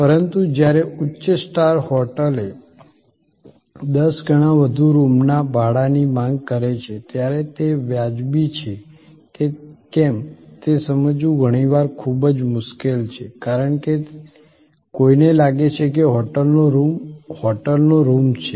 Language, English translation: Gujarati, But, when a high star hotel demands ten times more room rent, it is often very difficult to comprehend that whether that is justified or not, because one may feel a hotel room is a hotel room